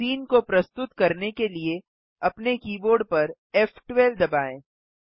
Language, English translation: Hindi, Press f12 on your keyboard to render the scene